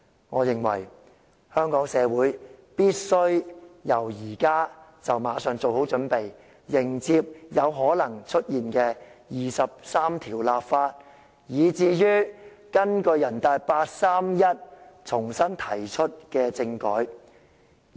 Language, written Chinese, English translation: Cantonese, 我認為，香港社會必須馬上做好準備，迎接有可能出現的就第二十三條立法，以及根據八三一決定重新提出的政改。, I hold that Hong Kong society must get prepared right now for the possible legislation for Article 23 and the constitutional reform introduced again according to the 31 August Decision